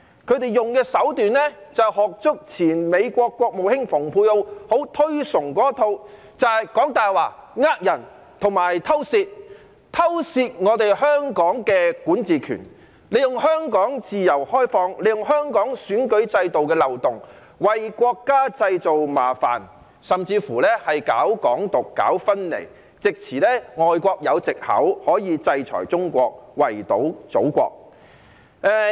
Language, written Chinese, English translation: Cantonese, 他們用的手段就是仿效前美國國務卿蓬佩奧很推崇的一套，也就是講大話、騙人及偷竊，偷竊我們香港的管治權，利用香港自由開放及香港選舉制度的漏洞，為國家製造麻煩，甚至搞"港獨"、搞分離，使外國有藉口制裁中國，圍堵祖國。, Following the tactics advocated by former United States Secretary of State Michael POMPEO they resorted to lying cheating and stealing in a bid to steal the power to govern Hong Kong . Taking advantage of the freedoms and opening of Hong Kong as well as the loopholes of the electoral system in Hong Kong they created troubles for the country and even advocated Hong Kong independence and separatist ideas giving foreign countries an excuse to impose sanctions on China and contain our Motherland